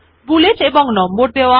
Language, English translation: Bengali, Bullets and Numbering